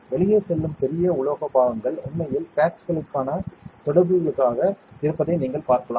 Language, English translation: Tamil, You can see the bigger metal parts that are going out are actually for the contacts for the pads